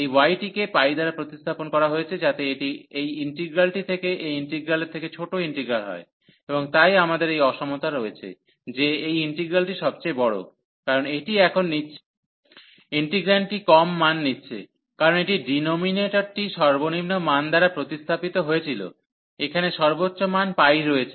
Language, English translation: Bengali, So, this y is replaced by this pi, so that this is this integral here becomes smaller integral for this integral, and therefore we have this inequality that this integral is larger, because this is taking now the integrant is taking lower value, because this denominator was replaced by the lowest value the highest value here which is pi there